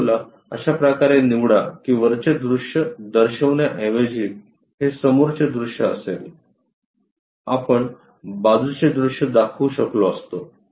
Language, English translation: Marathi, Pick the object in such a way that front view will be this one instead of showing top view; we could have shown side view